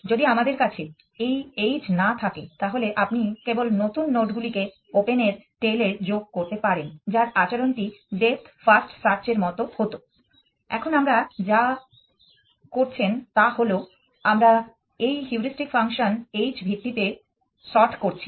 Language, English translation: Bengali, If we do not have this sort h then you would simply have offend the new loads to the tail of open and then it is behavior would have been like depth first search, now what you are doing is that we are sorting on this heuristic function h